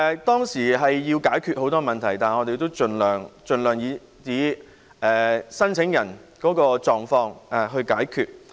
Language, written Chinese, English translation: Cantonese, 當時要解決很多問題，但我們盡量根據申請人的狀況來解決。, Despite the numerous problems to be solved at the time we tried our best to find solutions based on the applicants circumstances